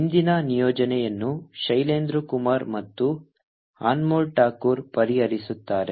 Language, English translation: Kannada, today's assignment will be solved by shailendra kumar and anmol thakor